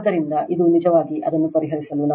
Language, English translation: Kannada, So, this is for you actually solve it